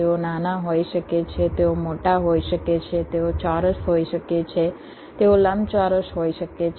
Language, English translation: Gujarati, they can be small, they can be big, they can be square, they can be rectangular